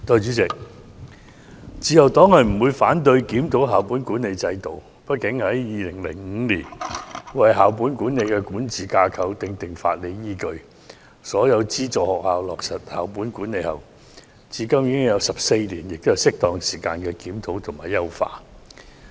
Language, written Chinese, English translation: Cantonese, 代理主席，自由黨不反對檢討校本管理制度，畢竟，自從2005年為校本管理的管治架構訂定法理依據，讓所有資助學校落實校本管理，至今已有14年，現在是適當時間進行檢討及優化。, Deputy President the Liberal Party has no objection to a review of the school - based management system . After all it has been 14 years since 2005 when the statutory basis for the governance structure of school - based management was established to enable all aided schools to implement school - based management . It is now an appropriate time for review and optimization